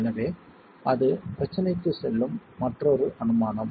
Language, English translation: Tamil, So that's the other assumption that goes into the problem